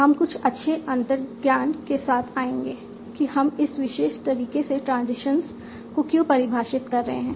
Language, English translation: Hindi, And you will come up with some nice intuitions that why we are defining the transitions in this particular manner